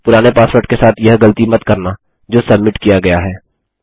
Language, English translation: Hindi, Dont mistake this with the old password that has been submitted